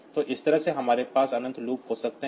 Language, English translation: Hindi, So, this way this we can have infinite loop